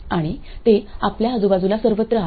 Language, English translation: Marathi, And there are absolutely everywhere around us today